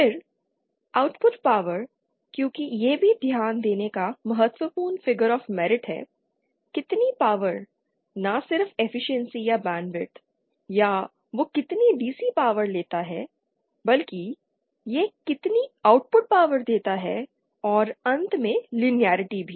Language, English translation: Hindi, Then output power we may because that is also an important figure of medit, how much power not just the efficiency or the band with or how much DC power it takes but also how much output power it gives and finally the linearity